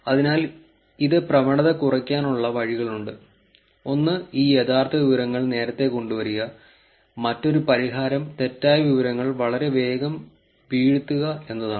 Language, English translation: Malayalam, So, there are ways to actually reduce this, one is to bring this real information earlier it starts early and then and the other solution is to get the rumour information fall flat very soon